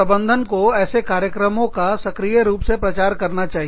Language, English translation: Hindi, The management should actively promote, these programs